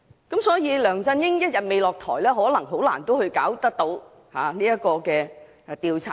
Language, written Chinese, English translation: Cantonese, 因此，只要梁振英一天未下台，可能很難認真進行調查。, Thus as long as LEUNG Chun - ying has not stepped down it may be very difficult to conduct a serious investigation